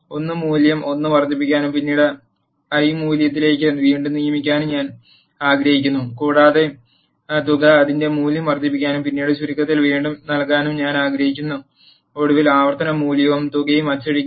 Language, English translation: Malayalam, I want to increment the i value by 1 and then reassign it to the value i and I also want to increase the sum by the iter value and then reassign it to sum and then finally, print the iteration value and the sum